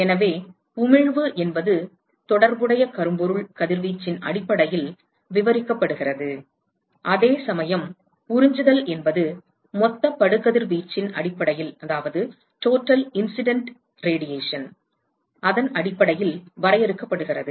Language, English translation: Tamil, So, note that emissivity is described based on the corresponding blackbody radiation while absorptivity is defined based on the total incident radiation